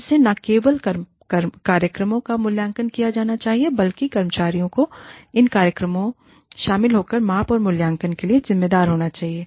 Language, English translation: Hindi, Again, not only, should the programs be evaluated, the staff involved, should be responsible for measurement and evaluation, of these programs